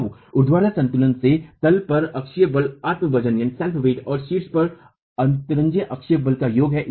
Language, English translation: Hindi, So, from the vertical equilibrium, the axial force at the bottom is the summation of the self weight and the axial force superimposed at the top